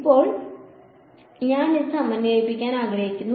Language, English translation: Malayalam, Now, I want to integrate this